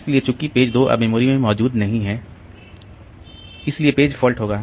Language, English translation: Hindi, So, since page 2 is not present now in the memory so there will be a page fault